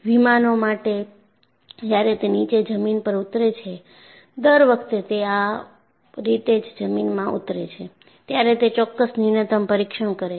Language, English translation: Gujarati, And in fact, for aircrafts, when they land, every time they land, they do certain minimal inspection